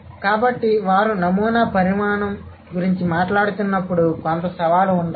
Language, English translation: Telugu, So, when they are talking about the sampling size, there must be some challenge